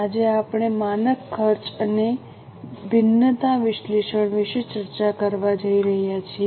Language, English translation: Gujarati, Today we are going to discuss about standard costing and variance analysis